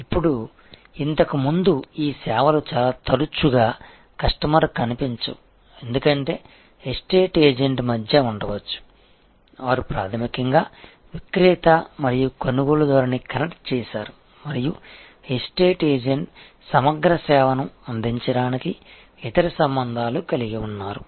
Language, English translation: Telugu, Now, earlier many of these services were often invisible to the customer, because there might have been in between an estate agent, who basically connected the seller and the buyer and the estate agent had other relationships to give a comprehensive service